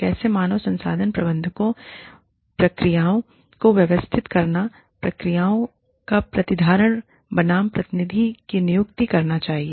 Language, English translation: Hindi, How should HR managers, organize processes, retention of processes versus delegation